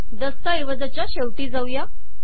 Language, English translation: Marathi, Let me go to the end of the document